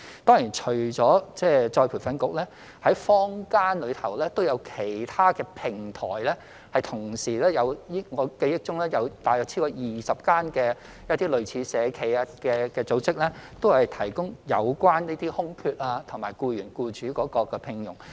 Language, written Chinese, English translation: Cantonese, 當然，除了僱員再培訓局，坊間亦有其他平台，我記憶中有大約超過20間社企的類似組織，都是提供這些空缺及供僱主聘用僱員。, But of course there are other platforms in the community apart from ERB . As far as I remember there are about 20 - odd social enterprises of a similar nature which provide such jobs for employers to find employees